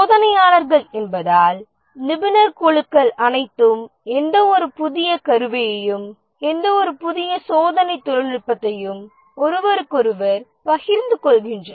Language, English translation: Tamil, The specialist groups, since the testers are all there, any new tool, any new testing technology, they share with each other